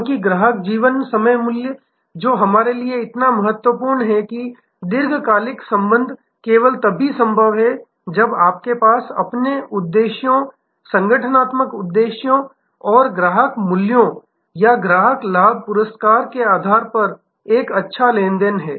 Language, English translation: Hindi, Because, this customer life time value, which is, so important to us that long term relationship is only possible when you have a good give and take, give and take based matching of your objectives organizational objectives and customer values or customer gains customer rewards